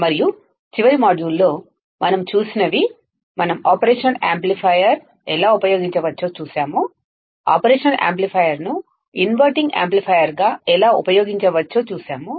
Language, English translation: Telugu, And in the last module, what we have seen, we have seen how we can use operational amplifier, how we can use operational amplifier as the inverting amplifier right